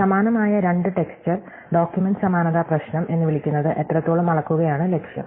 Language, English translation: Malayalam, So, the aim is to measure how similar two pieces of texture, it is so called document similarity problem